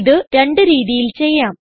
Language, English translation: Malayalam, This can be done in 2 ways 1